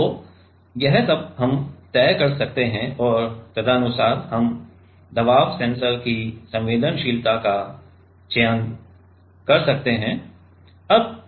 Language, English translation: Hindi, So, these are all this all we can decide and accordingly we can select the sensitivity of the pressure sensor